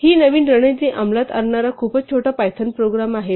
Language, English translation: Marathi, Here is a much shorter Python program implementing this new strategy